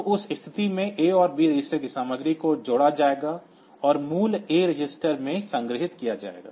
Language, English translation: Hindi, So, in that case the content of A and B registers will be added and the value will be stored in A register